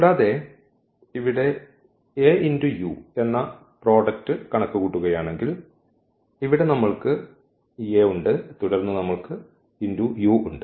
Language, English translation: Malayalam, And, with this if we compute this product here A and u so, here we have this A and then we have this u